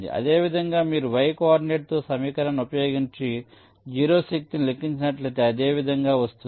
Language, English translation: Telugu, similarly, if you calculate the zero force, i mean y coordinate, using this equation, it will be similar